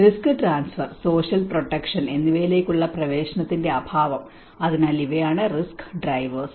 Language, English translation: Malayalam, Also lack of access to risk transfer and social protection, so these are the kind of underlying risk drivers